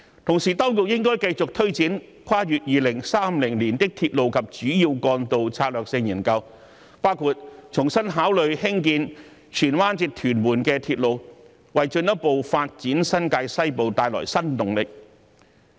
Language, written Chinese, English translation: Cantonese, 同時，當局應該繼續推展《跨越2030年的鐵路及主要幹道策略性研究》，包括重新考慮興建荃灣至屯門鐵路，為進一步發展新界西部帶來新動力。, At the same time the authorities should keep launching the Strategic Studies on Railways and Major Roads beyond 2030 including reconsidering the construction of the Tsuen Wan - Tuen Mun Railway to bring new impetus to further develop New Territories West . Railway development is closely related to peoples livelihood